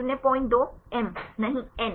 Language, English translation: Hindi, 2; M no; N